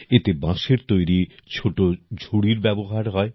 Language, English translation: Bengali, In this, a basket or supli made of bamboo is used